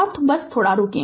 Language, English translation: Hindi, And just hold on